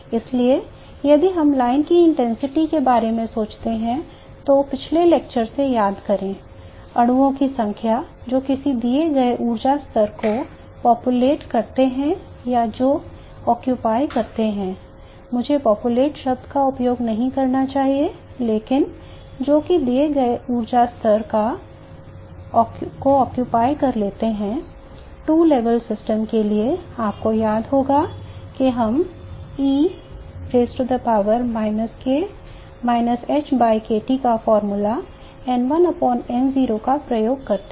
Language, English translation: Hindi, So if you think about the line intensities, recall from the last lecture the number of molecules which populate a given energy level or which occupy, let me not use the word populate, but which occupy a given energy level